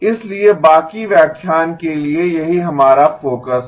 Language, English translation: Hindi, So that is our focus for the rest of the lecture